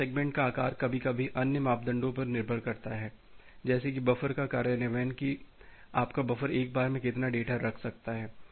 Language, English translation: Hindi, This maximum segment size sometime depends on other parameters, like the buffer implementation of what is the amount of the data that your buffer can hold at one go